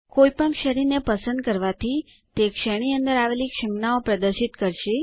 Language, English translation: Gujarati, Choosing any category displays the available symbols in that category